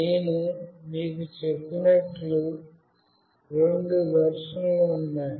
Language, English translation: Telugu, And as I told you, there are two versions